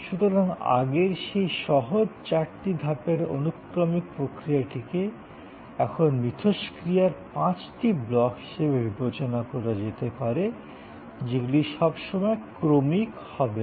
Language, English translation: Bengali, So, that earlier simple four steps sequential process can be now thought of as five blocks of interaction and they are not always sequential